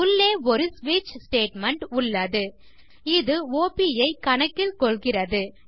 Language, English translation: Tamil, Now we have a switch statement inside, which takes this op into account